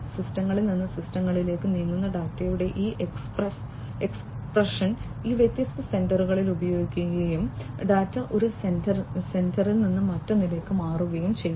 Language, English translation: Malayalam, Because of this expression of data moving to systems from systems would be using these different sensors and the data will be moving from one sensor to another